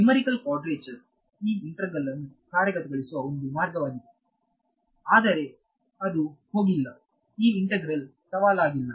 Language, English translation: Kannada, Numerical quadrature is a way of implementing this integral, but that is not gone help you this integration is not challenging